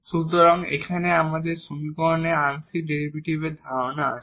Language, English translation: Bengali, So, here we have the notion of the partial derivates in the equation